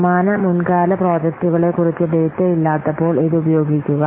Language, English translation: Malayalam, Use when you have no data about similar past projects